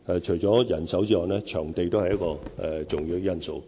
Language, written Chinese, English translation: Cantonese, 除了人手外，場地亦是重要的因素。, Apart from manpower the availability of venue is also an important factor